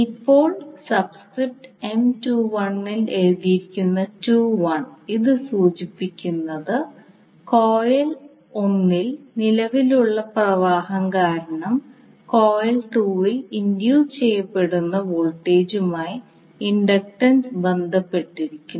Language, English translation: Malayalam, Now the subscript that is 21 written in M21 it indicates that the inductance relates to voltage induced in coil 2 due to the current flowing in coil 1